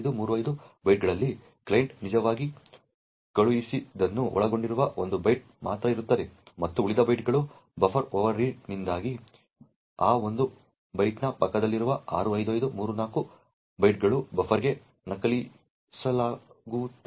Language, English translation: Kannada, So, out of these 65535 bytes there is only one byte which contains what the client had actually sent and the remaining bytes is due to a buffer overread where 65534 byte adjacent to that one byte is copied into the buffer